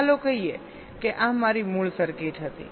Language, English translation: Gujarati, first, lets say this was my original circuit